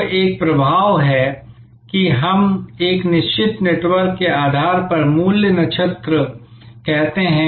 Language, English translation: Hindi, So, there is an effect of what we call a value constellation based on a certain network